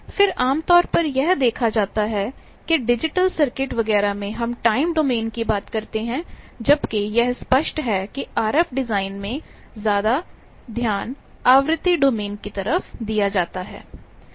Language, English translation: Hindi, Then generally it is seen that digital circuits, etcetera they talk of time domain whereas, it is apparent that more concentration is given in RF design for frequency domain